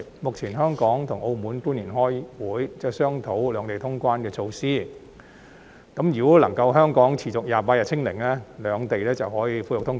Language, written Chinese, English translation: Cantonese, 日前香港與澳門官員開會，商討兩地通關的措施，如果香港能夠持續28天"清零"，兩地便可以恢復通關。, A few days ago officials from Hong Kong and Macao held a meeting to discuss measures for resuming cross - border travel between the two places . If Hong Kong can meet the target of 28 consecutive days of zero infection cross - border commuting between the two places can be resumed